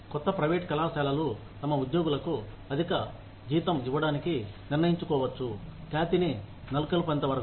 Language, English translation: Telugu, Newer private colleges may decide, to give their employees, a higher range of salary, till they establish a reputation